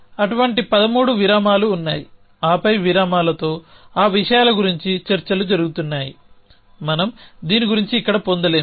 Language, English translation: Telugu, So, in there are 13 such intervals and then there is an talks about these thing with a intervals we will not get into to this here